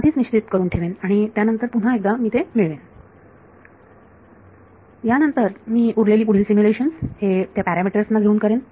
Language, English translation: Marathi, I decide that before and then once I obtain that then I do the rest of the simulations with those parameters